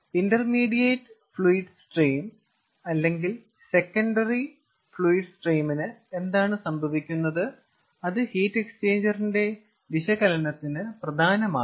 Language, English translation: Malayalam, what is happening to the intermediate fluid stream or secondary fluid stream that is important for the analysis of the heat exchanger